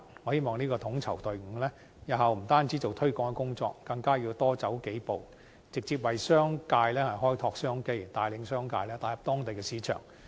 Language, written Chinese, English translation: Cantonese, 我希望這個統籌隊伍，日後不單做推廣的工作，更加要多走數步，直接為商界開拓商機，帶領商界打入當地市場。, I hope that the a coordinating team will not only undertake promotion work but also take further steps to explore business opportunities for the commercial sector and lead them to explore local markets